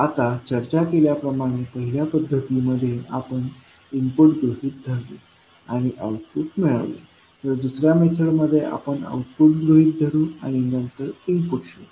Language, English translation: Marathi, Now, in the first method, as we discussed, we assume input and we found the output while in second method, we assume the output and then find the input